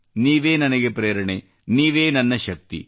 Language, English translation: Kannada, You are my inspiration and you are my energy